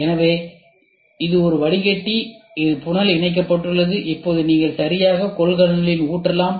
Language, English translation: Tamil, So, this is a filter which is funnel attached and now you can exactly pour into the container